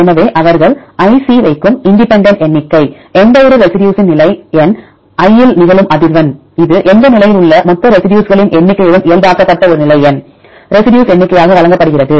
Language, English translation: Tamil, So, independent count they put ic, the same the frequency of occurrence of any residue a at position number i, which is given as number of residues of a at position number i normalized with the total number of residues at any position